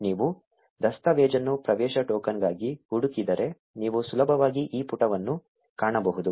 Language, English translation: Kannada, If you just search for access token in the documentation, you will easily find this page